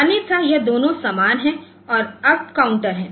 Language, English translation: Hindi, So, otherwise it is same it is up counter